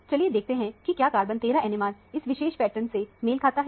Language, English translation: Hindi, Let us see if the carbon 13 NMR also matches with this particular spectrum